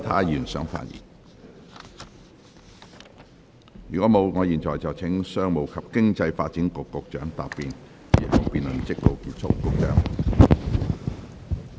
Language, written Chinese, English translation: Cantonese, 如果沒有，我現在請商務及經濟發展局局長答辯。, If not I now call upon the Secretary for Commerce and Economic Development to reply